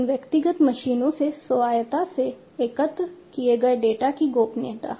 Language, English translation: Hindi, The privacy of the data that is collected from these individual machines autonomously